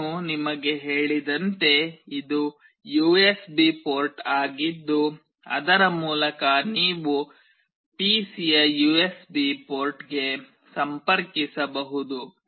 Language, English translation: Kannada, As I have told you this is the USB port through which you can connect to the USB port of the PC